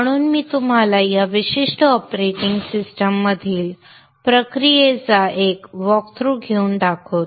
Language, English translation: Marathi, So I will show you by taking a walk through the process in this particular operating system